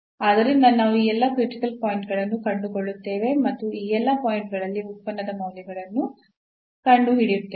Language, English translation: Kannada, So, we will find all these critical points and find the values of the function at all these points